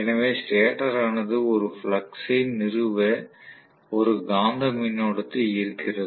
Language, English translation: Tamil, So the stator draws a magnetising current fundamentally to establish a flux